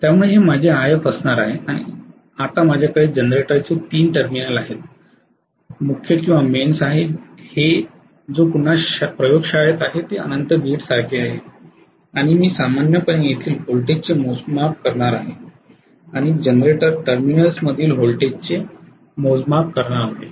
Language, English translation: Marathi, Now I have these are the 3 terminals of the generator and here are my mains which is actually in the laboratory again, this is equivalent to infinite grid and I am going to normally measure the voltage here and measure the voltage across the generator terminals